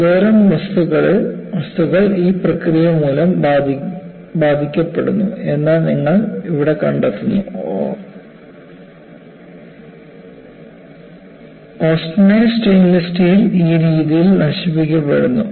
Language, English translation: Malayalam, And certain kind of material, gets affected by this process, you, find here, austenitic stainless steel gets corroded in this manner, and what happens in this